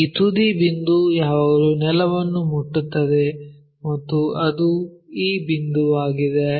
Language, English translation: Kannada, This apex point always touch the ground and that one is this